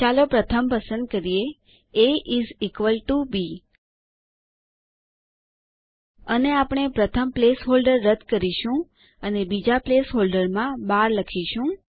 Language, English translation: Gujarati, Let us select the first one: a is equal to b And we will delete the first placeholder and type 12 in the second place holder